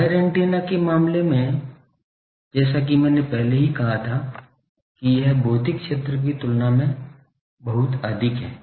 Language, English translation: Hindi, In case of wire antenna, it is as I already said that it is very much greater than, it is physical area